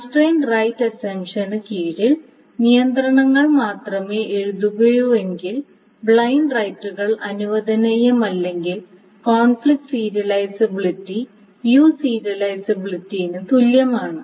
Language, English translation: Malayalam, So if there is, so under this constraint right assumption, if there is only constraint rights, if no blind rights are allowed, then conflict serializability is equal to view serializability